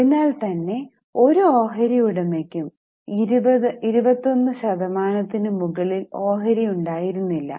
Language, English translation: Malayalam, So, no shareholder had more than 21% stake, 20% stake